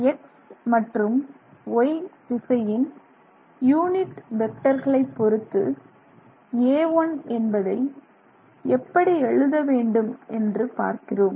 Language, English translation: Tamil, So now let's see if you want to write A1 in terms of unit vectors in the X direction and the Y direction, so let's just see what that is